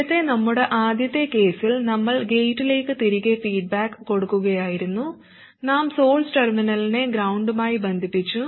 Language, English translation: Malayalam, Earlier in our very first case we were feeding back to the gate and we connected the source terminal to ground